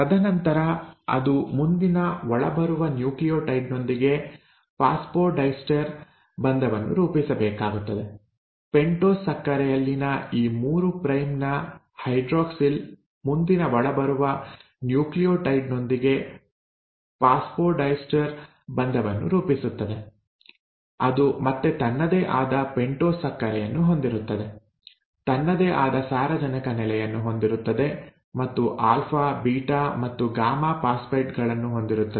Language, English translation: Kannada, And then it has to form phosphodiester bond with the next incoming nucleotide; this 3 prime hydroxyl in the pentose sugar will form the phosphodiester bond with the next incoming nucleotide which again will have its own pentose sugar, will have its own nitrogenous base and will have alpha, beta and gamma phosphates